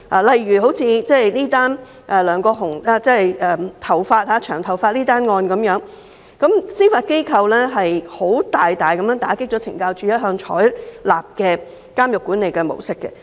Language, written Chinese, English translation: Cantonese, 例如梁國雄這宗關於保留長頭髮的案件，司法機構大大打擊了懲教署一向採用的監獄管理模式......, For example in this case of LEUNG Kwok - hung about whether male prisoners may keep long hair the judiciary has dealt a serious blow to the prison management model which CSD has all along adopted